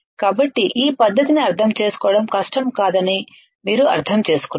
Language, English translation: Telugu, So, you understand that it is not difficult to understand this technique